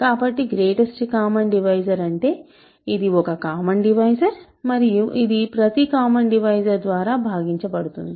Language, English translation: Telugu, So, a greatest common divisor is a common divisor which is divisible by every common divisor